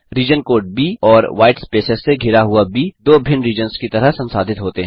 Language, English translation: Hindi, The region code B and a B surrounded by whitespace are treated as two different regions